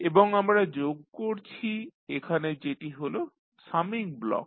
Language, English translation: Bengali, And we are summing up here that is summing block